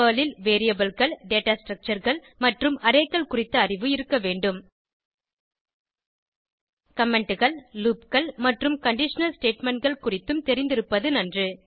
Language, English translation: Tamil, You should have basic knowledge of Variables, Data Structures and Arrays in Perl Knowledge of Comments, loops and conditional statements will be an added advantage